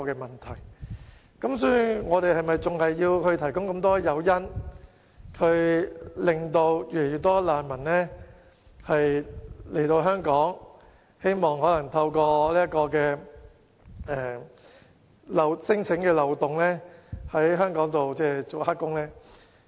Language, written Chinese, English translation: Cantonese, 香港是否仍要提供眾多誘因吸引越來越多難民來港，以免遣返聲請機制的漏洞留港從事非法勞工呢？, Should Hong Kong continue to provide so many incentives with the result that more and more refugees are induced to Hong Kong and take up illegal employment here by using the loopholes in the non - refoulement claim mechanism?